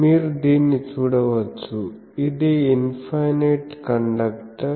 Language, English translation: Telugu, You can see this, this is there is a infinite conductor